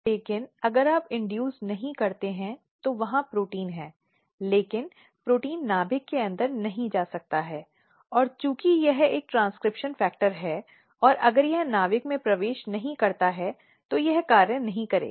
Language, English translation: Hindi, But if you do not induce then the protein is there, but protein cannot go inside the nucleus and since it is a transcription factor and if we it does not enter in the nucleus it will not perform the function